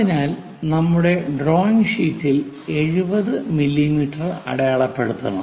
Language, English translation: Malayalam, So, we have to mark that 70 mm on our drawing sheet